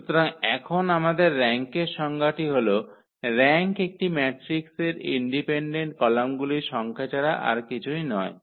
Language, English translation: Bengali, So, now our definition for the rank is that rank is nothing but the number of independent columns in a matrix